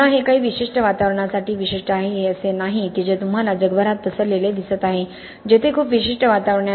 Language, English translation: Marathi, Again this is specific to certain environments, it is not something that you see wide spreads all across the world there are very specific environments